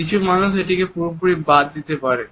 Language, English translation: Bengali, Some people can miss it altogether